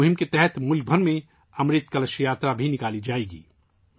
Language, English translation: Urdu, Under this campaign, 'Amrit Kalash Yatra' will also be organised across the country